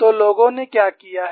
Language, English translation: Hindi, So, what people have done